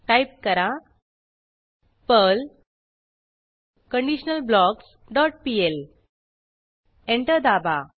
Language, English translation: Marathi, Type perl conditionalBlocks dot pl and press Enter